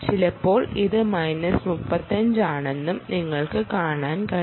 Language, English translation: Malayalam, sometimes it is even minus thirty five, and and so on